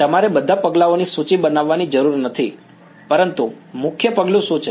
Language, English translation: Gujarati, You do not have to list all the steps, but what is the main step